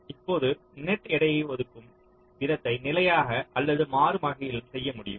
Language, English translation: Tamil, right now, the way you assign the net weights can be done either statically or dynamically